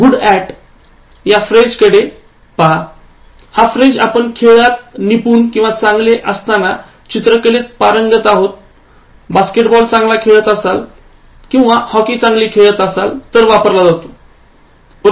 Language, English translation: Marathi, Now look at this phrase, ‘good at’ is used with an activity like, anything that you do usually, playing, good at painting, good at basketball, good at hockey etc